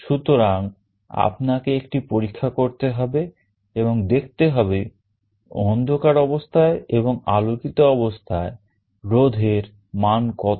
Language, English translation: Bengali, So, you will have to do an experiment and find out what are the resistance values in the dark state and in the light state